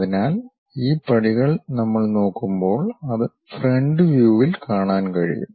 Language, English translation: Malayalam, So, these stairs, we can see it in the front view when we are looking at it